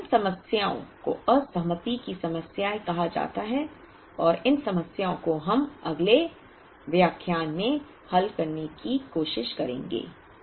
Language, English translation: Hindi, So, these problems are called disaggregation problems and these problems we will try and address them in the next lecture